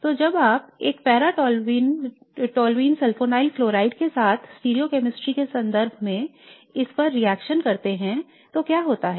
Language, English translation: Hindi, So what happens when you react this with a paratoneal sulfanyl chloride in terms of stereochemistry